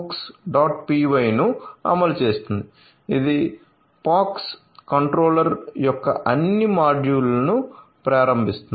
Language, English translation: Telugu, py which is which will enable the all the modules of POX controller